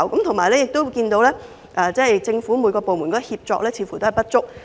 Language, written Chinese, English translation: Cantonese, 同時，政府各部門的協作似乎有所不足。, Meanwhile government departments do not seem to have effective collaboration